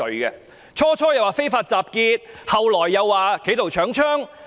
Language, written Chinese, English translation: Cantonese, 最初的說法是"非法集結"，後來則說是"企圖搶槍"。, It was initially said that the offence would be unlawful assembly but it is later said that it would be attempted robbery of firearms